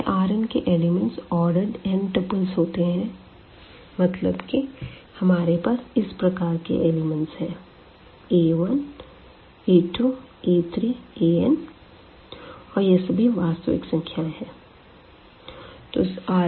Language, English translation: Hindi, So, this R n is this set of all this ordered n tuples means we have the elements of this type a 1, a 2, a 3, a n and all these as are from the real number